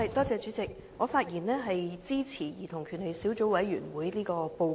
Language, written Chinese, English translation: Cantonese, 主席，我發言支持"兒童權利小組委員會的報告"。, President I rise to speak in support of the Report of the Subcommittee on Childrens Rights